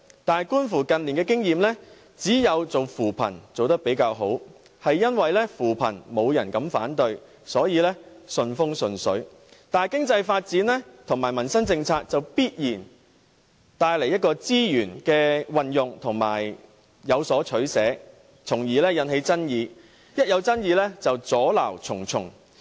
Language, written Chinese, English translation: Cantonese, 但是，觀乎近來的經驗，只有扶貧工作做得比較好，正因扶貧工作沒有人敢反對，所以順風順水，但經濟發展和民生政策就必然帶來資源運用問題，當中有所取捨，因而有所爭議，只要出現爭議便會阻撓重重。, But the recent experience shows that we have done a better job only in poverty alleviation . The precise reason is that nobody will raise objection to poverty alleviation so everything has gone very smoothly . But in the case of economic development and livelihood policies queries about resource utilization will necessarily arise